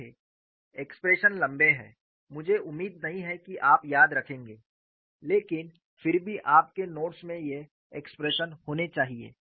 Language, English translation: Hindi, See the expressions are long; I do not expect you to remember, but nevertheless your notes should have these expressions